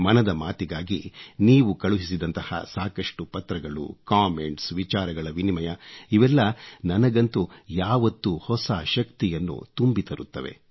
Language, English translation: Kannada, Your steady stream of letters to 'Mann Ki Baat', your comments, this exchange between minds always infuses new energy in me